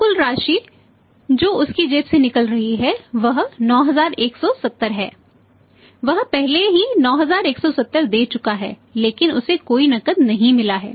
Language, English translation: Hindi, So the total amount which is going out of his pocket is 9170 he has already paid 9170 but not received any cash right